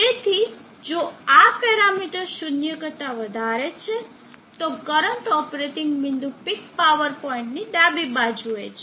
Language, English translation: Gujarati, So if this parameter is greater than 0, then the current operating point is left to the left of the peak power point